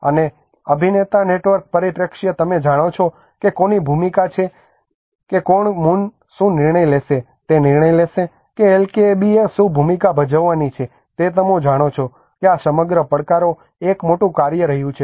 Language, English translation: Gujarati, And the actor network perspective you know whose role is what who will take a decision what role is Kommun has to play what role the LKAB has to play you know these whole challenges have been a big task